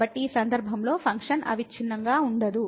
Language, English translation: Telugu, So, in this case the function is not continuous